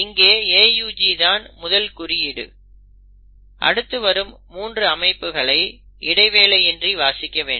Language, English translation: Tamil, So AUG becomes the first code, the next code is always read without any break in sets of 3